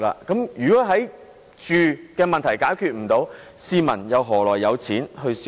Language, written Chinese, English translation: Cantonese, 住屋問題未能解決，市民又何來金錢消費？, With the housing problem unsolved how can the citizens have any money to spend?